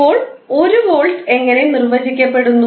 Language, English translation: Malayalam, Now, how you will measure 1 volt